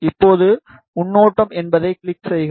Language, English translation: Tamil, Now, click on preview